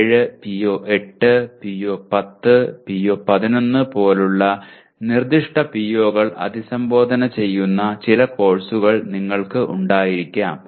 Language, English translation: Malayalam, And you may have some courses that address specific POs like PO7, PO8, PO10 and PO11